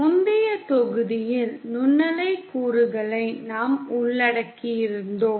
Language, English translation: Tamil, In the previous module we had covered microwave components